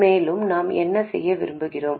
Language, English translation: Tamil, So, what do we need to do here